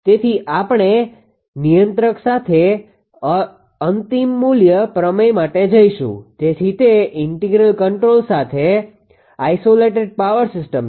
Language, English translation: Gujarati, So, we will go for final value theorem with controller right; so, it is isolated power system with integral controller